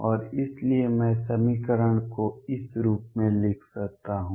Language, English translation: Hindi, And therefore, I can write the equation as